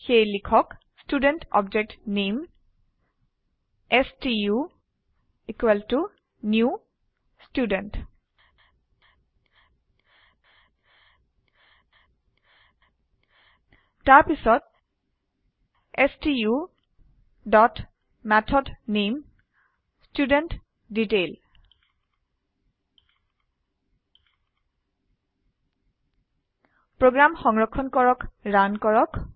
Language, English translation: Assamese, So type Student object name stu equal to new Student Then stu dot method name i.estudentDetail Save and Run the program